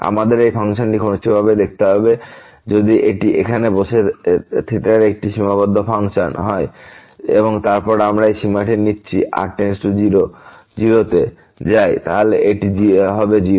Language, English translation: Bengali, We have to closely look at this function whether if it is a bounded function of theta sitting here and then we are taking this limit goes to 0, then this will be 0